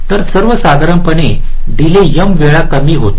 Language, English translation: Marathi, so roughly the delay decreases m times